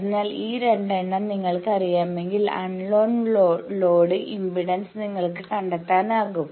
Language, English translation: Malayalam, So, if you know these 2 you can find out the load impedance which is unknown